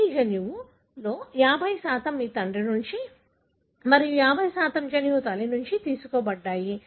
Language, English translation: Telugu, So, you have, 50% of your genome is derived from your father and 50% of the genome is derived from mother